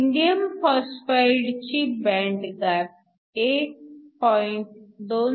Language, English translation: Marathi, Indium phosphide has a higher band gap 1